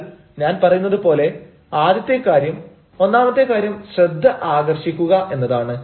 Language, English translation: Malayalam, but then the first thing, as i said, the first thing is to attract the attention